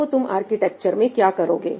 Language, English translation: Hindi, What do you do in the architecture